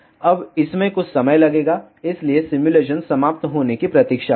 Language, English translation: Hindi, Now, it will take some time, so wait for the simulation to be over